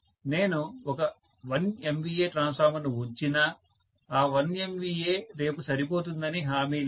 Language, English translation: Telugu, Even if I put one 1 MVA transformer there is no guaranty that, that 1 MVA is going to be sufficient enough tomorrow